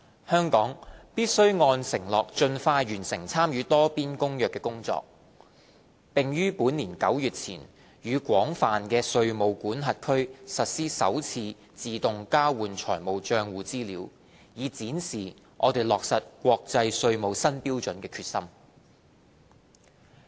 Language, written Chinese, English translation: Cantonese, 香港必須按承諾盡快完成參與《多邊公約》的工作，並於本年9月前與廣泛的稅務管轄區實施首次自動交換資料，以展示我們落實國際稅務新標準的決心。, Hong Kong must expeditiously complete the work for participating in the Multilateral Convention as promised and commence the first AEOIs with an extensive number of jurisdictions before this September so as to demonstrate our determination to implement the new international tax standards